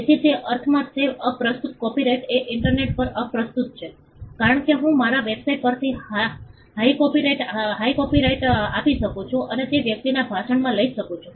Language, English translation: Gujarati, So, so in that sense it is irrelevant copyright is irrelevant on the internet, because I could give a hyperlink from my website and take to that person speech